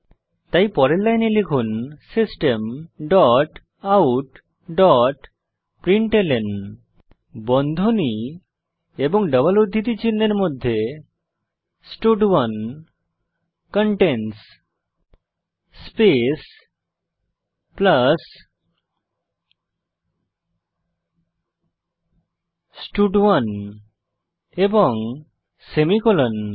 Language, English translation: Bengali, So next line type System dot out dot println within brackets and double quotes stud1 contains space plus stud1 and then semicolon